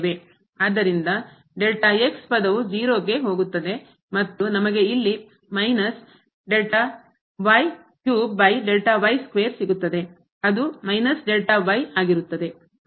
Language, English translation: Kannada, So, this term goes to 0 and here this goes to 0